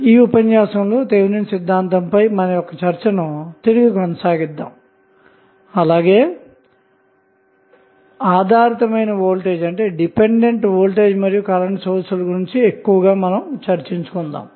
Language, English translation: Telugu, So, in this class we will continue our discussion on the Thevenin's theorem but we will discuss more about the dependent sources that may be the voltage or current